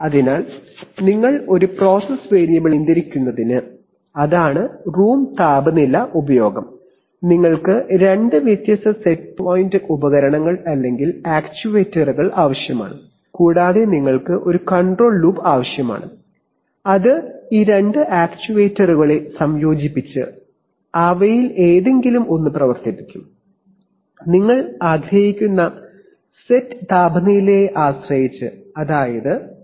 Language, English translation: Malayalam, So you essentially for controlling the same process variable, that is the room temperature use, you need two different sets of equipment or actuators and you need to have a control loop which will, which will incorporate these two actuators and actuate one any one of them depending on the set temperature that you want, that is whether the set temperature is less than ambient or is it more than ambient